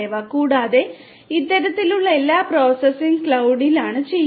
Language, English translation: Malayalam, And all of these kinds of processing are done at the cloud